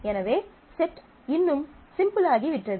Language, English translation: Tamil, So, the set gets even simpler